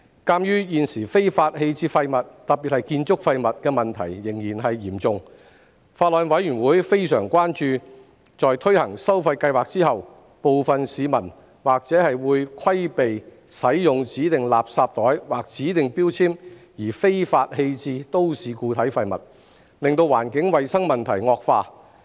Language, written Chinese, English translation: Cantonese, 鑒於現時非法棄置廢物的問題仍然嚴重，法案委員會非常關注在推行收費計劃後，部分市民或會規避使用指定垃圾袋或指定標籤而非法棄置都市固體廢物，令環境衞生問題惡化。, Considering that the problem of illegal disposal of waste remains serious nowadays the Bills Committee are extremely concerned that after the implementation of the charging scheme some people may dispose of MSW illegally to evade using designated garbage bags or designated labels leading to deterioration in environmental hygiene